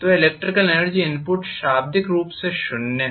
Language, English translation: Hindi, So the electrical energy input is literally zero